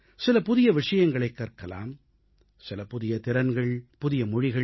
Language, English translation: Tamil, Keep learning something new, such as newer skills and languages